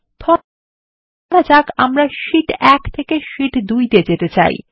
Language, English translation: Bengali, Lets say we want to jump from Sheet 1 to Sheet 2